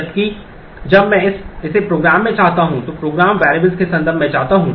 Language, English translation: Hindi, Whereas, when I want it in the program I want it in terms of program variables